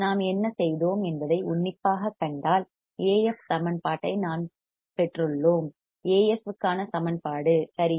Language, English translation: Tamil, See again we if we closely see what we have done, we have we have derived the equation of A f the equation of A f right